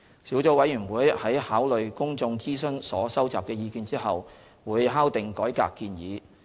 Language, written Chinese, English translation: Cantonese, 小組委員會在考慮公眾諮詢所收集的意見後會敲定改革建議。, The Sub - committees will consider the views collected from the public consultation and finalize the reform proposals